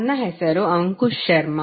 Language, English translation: Kannada, My name is Ankush Sharma